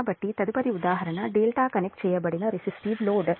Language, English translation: Telugu, so next, next example is a delta connected resistive load